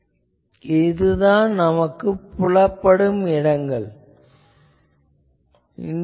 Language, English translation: Tamil, So, this is my visible space I want